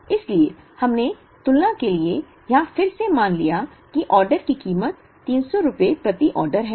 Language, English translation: Hindi, So, we assumed here again for the sake of comparison that order cost is rupees 300 per order